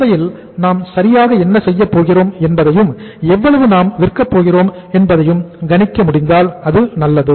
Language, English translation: Tamil, If you are able to forecast the sales properly that what we are going to do in the market how much we are going to sell in the market then it is fine